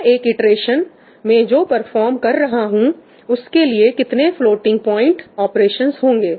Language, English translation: Hindi, what is the number of floating point operations I am performing in one iteration